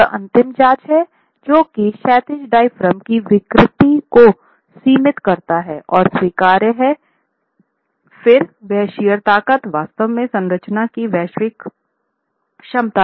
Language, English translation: Hindi, If the diaphragm, horizontal deformation, the diaphragm's deformation limits are within, are acceptable, then that shear force is really the capacity, global capacity of the structure